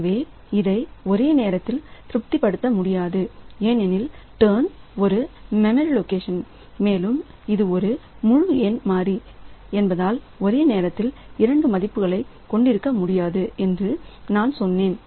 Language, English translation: Tamil, So, so this cannot be satisfied simultaneously because turn is a memory location and as I said that since it is an integer variable so it cannot have two values simultaneously